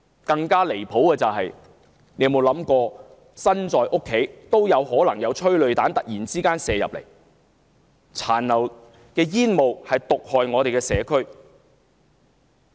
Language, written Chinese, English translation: Cantonese, 更離譜的是，市民即使身在家中也遭殃，催淚彈可能突然射進屋內，殘留的煙霧亦毒害社區。, More outrageous is that those members of the public who stay at home can still be subject to a sudden assault of tear gas canisters flying into their homes or the residue of tear gas poisoning the community